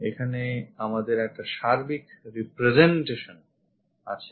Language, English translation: Bengali, Here we have a whole representation